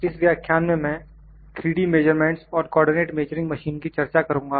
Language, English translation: Hindi, In this lecture I will discuss 3D measurements and Co ordinate Measuring Machine